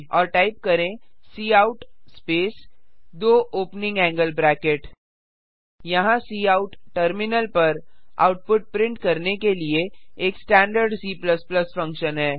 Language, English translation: Hindi, And type cout space two opening angle bracket Here cout is a standard C++ function to print the output on the terminal